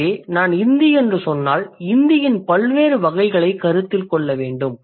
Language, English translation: Tamil, So, if I say Hindi, so then I have to talk about what are the different varieties of Hindi that I may consider